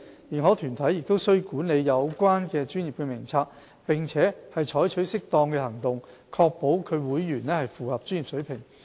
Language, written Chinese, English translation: Cantonese, 認可團體須管理有關專業的名冊，並採取適當行動確保其會員符合專業水平。, They should administer the register of their own professions and take appropriate actions to ensure the professional competency of their members